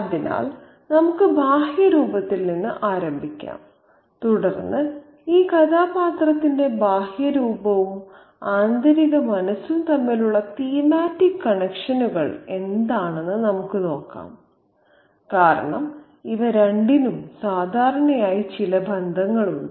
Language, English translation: Malayalam, So, let's begin with the external appearance and then we can see what are the thematic connections between the external appearance and the interior psyche of this character, because these two usually have some connections